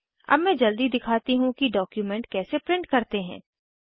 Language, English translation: Hindi, Let me quickly demonstrate how to print a document